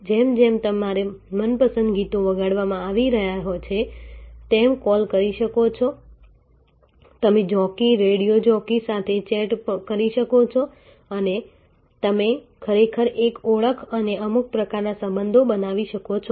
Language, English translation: Gujarati, So, as your favorite songs are getting played, you can call in you can chat with the jockey, radio jockey and you can actually create a recognition and some sort of relationship